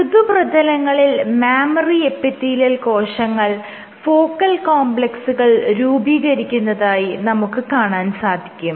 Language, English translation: Malayalam, On soft surfaces these cells, the mammary epithelial cells from focal complexes